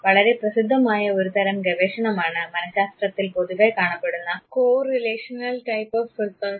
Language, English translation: Malayalam, One very popular type of research that you find in psychology is the correlational type of research